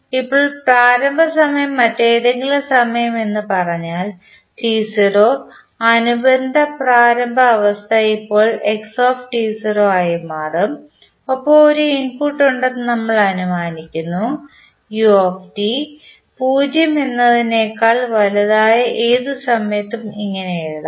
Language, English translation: Malayalam, Now, if initial time is say any other time t naught the corresponding initial state will now become xt naught and we assume that there is an input that is ut which is applied at any time t greater than 0